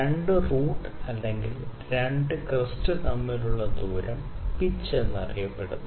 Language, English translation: Malayalam, The distance between the 2 roots or 2 crests is known as pitch